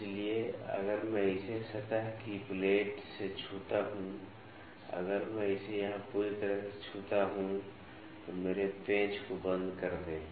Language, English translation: Hindi, So, if I touch it with a surface plate, if I touch it here completely then lock my screws